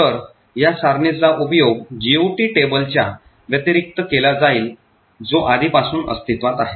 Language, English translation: Marathi, So, this table is used in addition with a GOT table which is already present